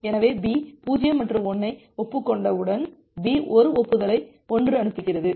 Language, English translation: Tamil, So, once B acknowledges 0 and 1; A send B sends an acknowledgement 1